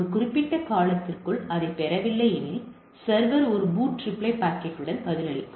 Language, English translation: Tamil, If not received within a specified time period resends it, it is retransmitted the server responds with a BOOTREPLY packet